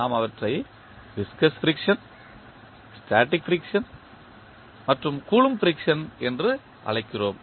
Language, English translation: Tamil, We call them viscous friction, static friction and Coulomb friction